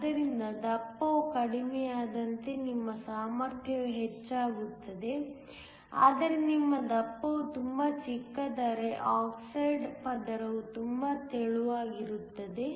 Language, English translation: Kannada, So, as the thickness reduces your capacitance will increase, but if your thickness becomes too small the oxide layer is very thin